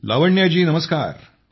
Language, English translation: Marathi, Lavanya ji, Namastey